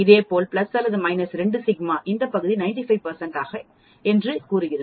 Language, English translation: Tamil, Similarly plus or minus 3 sigma will span 99